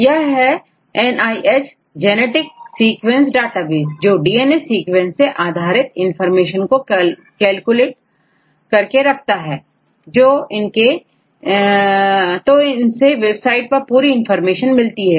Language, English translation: Hindi, It is a NIH genetic sequence database right, they provide the collection of the information regarding the DNA sequences right